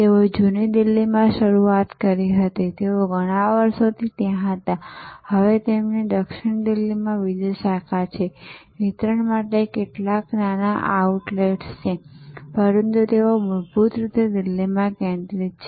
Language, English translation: Gujarati, They started in old Delhi, they were there for many years, now they have another branch in South Delhi, some small outlets for delivery, but they are basically Delhi focused